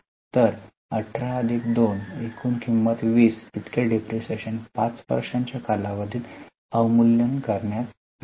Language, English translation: Marathi, 18 plus 2, the total cost is 20 to be return of over a period of 5 years